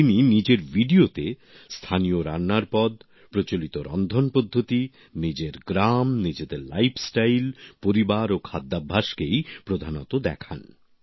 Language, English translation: Bengali, In his videos he shows prominently the local dishes, traditional ways of cooking, his village, his lifestyle, family and food habits